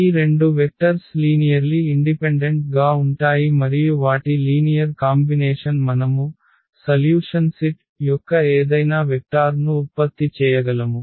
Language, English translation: Telugu, So, these two vectors are linearly independent and their linear combination we can generate any vector of the solution set